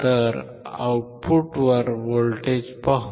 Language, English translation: Marathi, The output voltage is 2